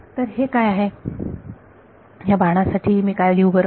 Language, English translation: Marathi, So, what is this, what should I write for this arrow